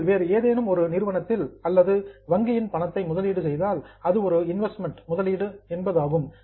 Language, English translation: Tamil, If you invest money with some other company or with a bank, then it is a investment